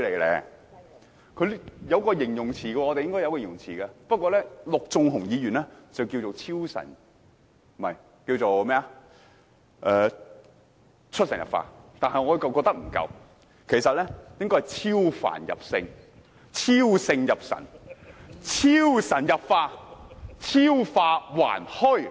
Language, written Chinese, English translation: Cantonese, 這應該有一個形容詞來形容，陸頌雄議員稱之為"出神入化"，但我認為不足夠，應該是"超凡入聖，超聖入神，超神入化，超化還虛"。, Mr LUK Chung - hung described them as reaching the acme of perfection which I think is not enough . They should be described as overcoming all worldly thoughts and entering sainthood and divinity as well as manifesting surrealism . Only the word surreal can aptly describe their work in the Legislative Council nowadays